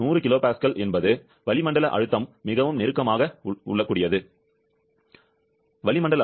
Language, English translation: Tamil, 100 kilo Pascal is quite closely the atmospheric pressure; atmospheric pressure is 101